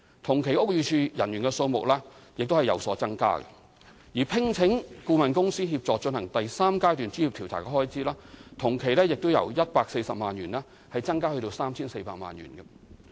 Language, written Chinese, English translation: Cantonese, 同期屋宇署人員的數目亦有所增加，而聘請顧問公司協助進行第三階段專業調查的開支，亦由140萬元增至 3,400 萬元。, The number of BDs staff has increased over the same period and the spending on appointment of consultants for carrying out of stage III professional investigation has substantially increased from 1.4 million to 34 million over the same period